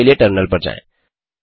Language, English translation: Hindi, Switch to terminal for solution